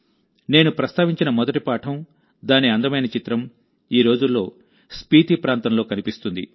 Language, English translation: Telugu, The first lesson that I mentioned, a beautiful picture of it is being seen in the Spiti region these days